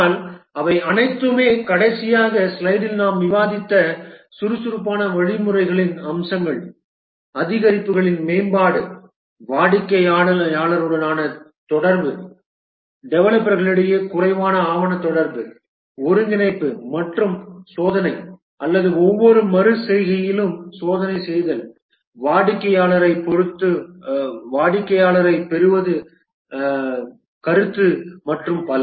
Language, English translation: Tamil, But then they all have the features of the agile methodologies which we just so discussed in the last slide, development over increments, interaction with the customer, less documentation, interaction among the developers, testing, integrating and testing over each iteration, deploying, getting customer feedback and so on